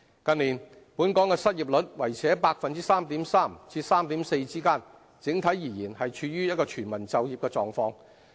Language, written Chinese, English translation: Cantonese, 近年，本港的失業率維持在 3.3% 至 3.4% 之間，整體而言，是處於全市就業的狀況。, The local unemployment rate has maintained at the level of 3.3 % to 3.4 % in recent years and in general the labour market is in a state of full employment